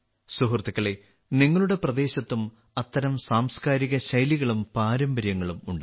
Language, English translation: Malayalam, Friends, there will be such cultural styles and traditions in your region too